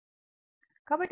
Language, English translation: Telugu, So, impedance Z is equal to X is equal to 0